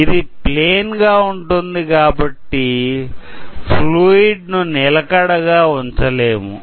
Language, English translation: Telugu, So, since this is a plane, we cannot hold a fluid there